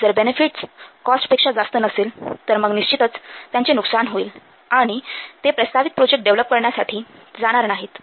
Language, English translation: Marathi, If the benefit will not outweigh the cost, then definitely it will be lost to them and they will not go for developing this proposed project